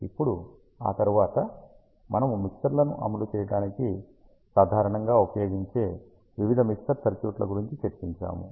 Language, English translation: Telugu, Now, after that ah we discussed various mixer circuits which are commonly used to implement mixers